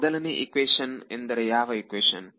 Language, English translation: Kannada, The first equation means which equation